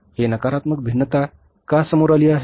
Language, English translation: Marathi, Why this negative variance has come up